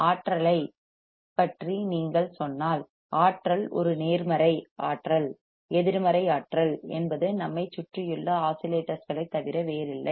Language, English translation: Tamil, If you say about energy, energy is a positive, energy negative energy is nothing but the oscillations around us oscillations around us